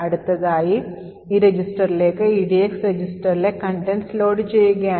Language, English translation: Malayalam, Next, what we do is load the contents of this EDX register into this particular register